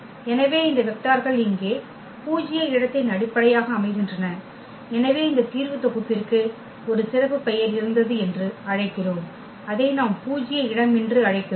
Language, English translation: Tamil, Therefore, these vectors form a basis of the null space here remember so, we call this solution set there was a special name which we call null space